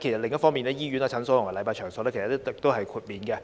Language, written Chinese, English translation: Cantonese, 另一方面，現時醫院、診所及禮拜場所已可獲豁免。, On the other hand exceptions have been made of hospitals clinics and places of worship